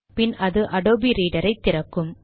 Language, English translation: Tamil, So we close the Adobe Reader